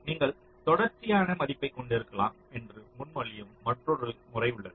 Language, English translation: Tamil, or there is another method which propose that you can have a continuous value